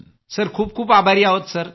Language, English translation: Marathi, Sir thank you so much sir